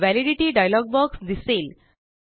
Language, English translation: Marathi, The Validity dialog box appears